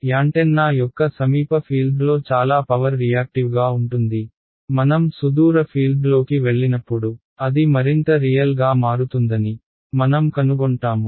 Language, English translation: Telugu, In the near field of an antenna most of the energy is reactive, as I go into the far field we will find that it becomes more and more real ok